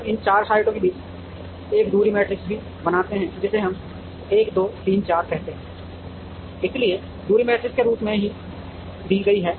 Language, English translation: Hindi, We also create a distance matrix amongst these 4 sites, which we call as 1 2 3 4, so the distance matrix is given as